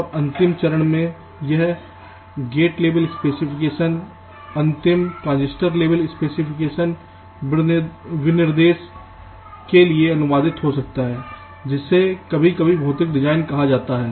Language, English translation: Hindi, and in the last step, this gate level specification might get translated to the final transistor level specification, which is sometimes called physical design